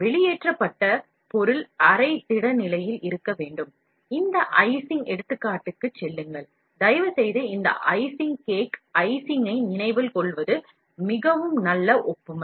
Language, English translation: Tamil, The material, that is being extruded must be in a semi solid state, go back to this icing example, and please remember this icing cake icing, which is very, very good analogy